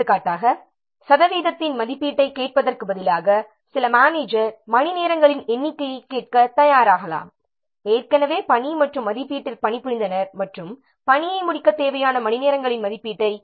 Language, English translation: Tamil, For example, rather than asking for the estimates of the percentage complete, some managers may prefer to ask for the number of hours already worked on the tax and estimate and an estimate of the number of hours needed to finish the tax off